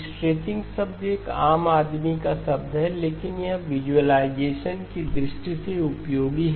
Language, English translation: Hindi, The word stretching is a layman's term but it is useful in terms of visualization